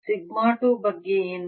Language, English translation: Kannada, what about sigma two